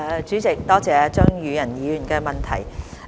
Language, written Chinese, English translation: Cantonese, 主席，多謝張宇人議員的補充質詢。, President I would like to thank Mr Tommy CHEUNG for his supplementary question